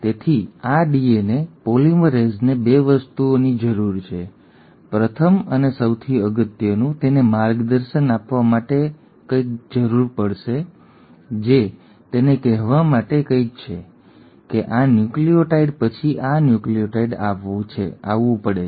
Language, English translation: Gujarati, So what happens is this DNA polymerase needs 2 things, first and the foremost it needs something to guide it, something to tell it that after this nucleotide this nucleotide has to come